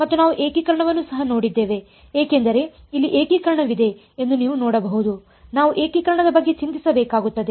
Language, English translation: Kannada, And we also looked at integration because you can see there is an integration here we will have to worry about integration ok